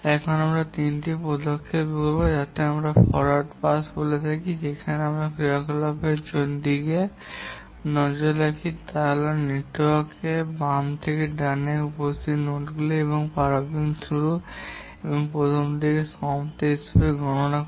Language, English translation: Bengali, One we call as the forward pass where we look at the activities or the nodes appearing on the network from left to right and compute the earliest start and the earliest finish